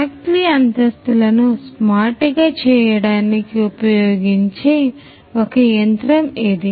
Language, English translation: Telugu, So, this is one such machine which could be used to make the factory floors smart